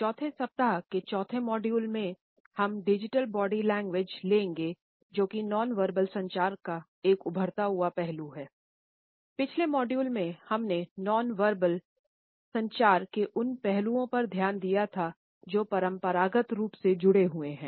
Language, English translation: Hindi, In the fourth module of the fourth week we would take up digital body language which is an emerging aspect of nonverbal communication